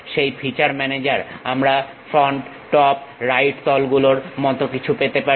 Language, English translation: Bengali, In that feature manager, we might be having something like front, top, right planes